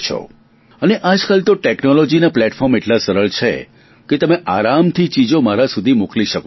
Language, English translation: Gujarati, Today the platforms of technology are such that your message can reach me very easily